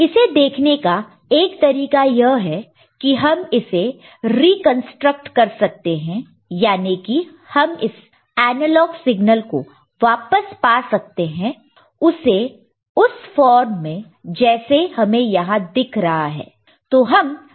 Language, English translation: Hindi, One way of looking at it that we can we reconstruct we can get back the analog signal in the form that we are having over here – ok